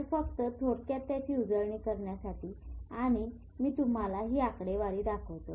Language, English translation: Marathi, So just to briefly revise that and I will show you these figures